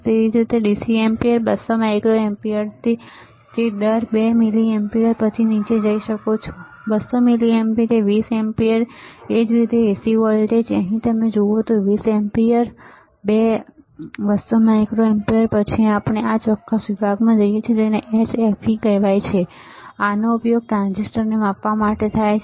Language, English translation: Gujarati, Same way DC ampere right, 200 microampere to that range 2 milliampere, then you can go down right 200 milliampere 20 ampere similarly AC voltage here you see, 20 ampere 2 200 microampere, then we go to this particular section, which is called HFE, this is used for measuring the transistor